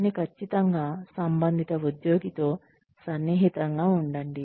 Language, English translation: Telugu, But, definitely stay in touch, with the concerned employee